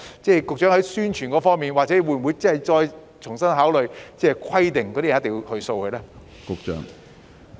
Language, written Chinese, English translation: Cantonese, 在宣傳方面，局長會否重新考慮，規定市民必須掃描二維碼呢？, In respect of publicity will the Secretary consider afresh requiring members of the public to scan the code?